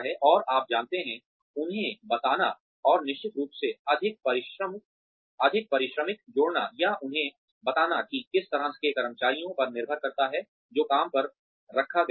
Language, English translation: Hindi, And you know, telling them that, and of course, adding more remuneration, or telling them to, depending on the kind of employees, that are hired